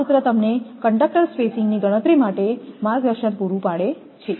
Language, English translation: Gujarati, This formula may serve as a guide to your calculate conductor spacing